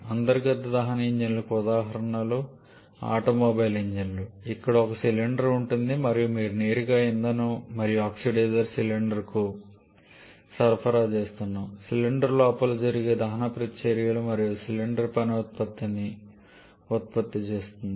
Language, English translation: Telugu, Examples of internal combustion engines are automobile engines where you have one cylinder and you are directly supplying your fuel and oxidizer to the cylinder combustion reactions happening inside the cylinder